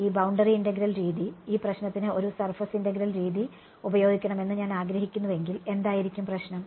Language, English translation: Malayalam, And these boundary integral method, supposing I want use a like a surface integral method for this problem, what will be the problem